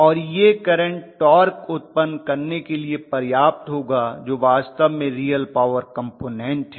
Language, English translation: Hindi, So the current will be just sufficient to generate torque which is actually the real power component, right